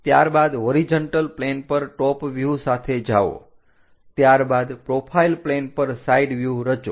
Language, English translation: Gujarati, After that go with the top view on that horizontal plane, after that constructive view side view profile plane view